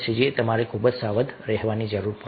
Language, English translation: Gujarati, but here we have to be very cautious